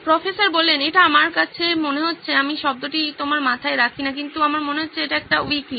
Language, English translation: Bengali, It sounds to me like I do not put the word in your heads but it sounds to me like this is a wiki